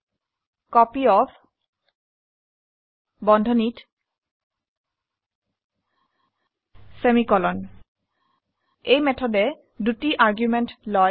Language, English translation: Assamese, copyOf(marks, 5) This method takes two arguments